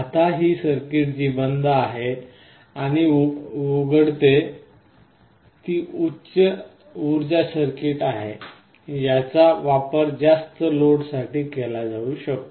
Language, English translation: Marathi, Now this circuit which closes and opens is a high power circuit, this can be used to drive a high load